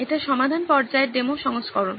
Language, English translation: Bengali, This is the demo version of the solve stage